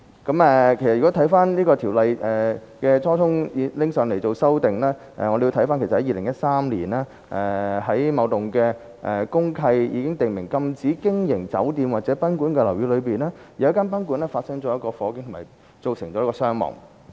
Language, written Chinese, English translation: Cantonese, 如果回看這《條例》修訂的初衷，我們要回溯至2013年，在某幢公契已訂明禁止經營酒店或賓館的樓宇內，有一間賓館發生火警並造成傷亡。, 95 . As regards the primary objective of amending this Ordinance we have to trace back to 2013 when a fatal fire incident caused casualties in a guesthouse located in a building with the deed of mutual covenant DMC prohibiting hotel or guesthouse operation